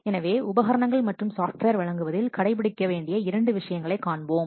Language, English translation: Tamil, So we will see two things that equipment and software to be supplied